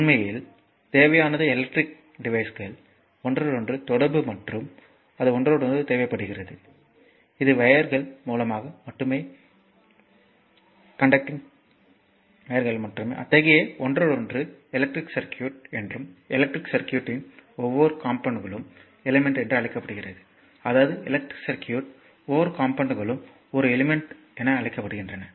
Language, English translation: Tamil, So, what we need actually we require an interconnection of electrical devices and interconnection it will be through wires only conducting wires only and such interconnection is known as the electric circuit and each element of the electric circuit is known as your element; that means, each component of the electric circuit is known as an element right